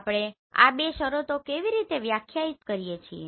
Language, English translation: Gujarati, How do we define these two terms